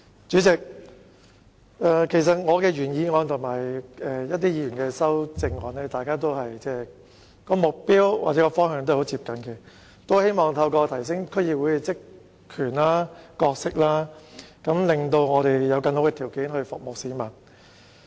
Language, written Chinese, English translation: Cantonese, 主席，其實我的原議案和其他議員的修正案的目標或方向均很接近，都是希望提升區議會的職權和角色，令我們有更好的條件服務市民。, President in fact my original motion shares a similar target or direction with the amendments proposed by other Members for they all seek to enhance the functions and role of District Councils DCs so that we will be better equipped to serve the public